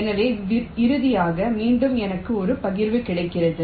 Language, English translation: Tamil, so finally, again, i get a partition